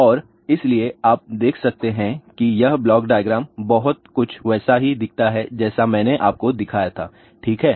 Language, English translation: Hindi, And, so, you can see that this block diagram looks very similar to what I had shown you, ok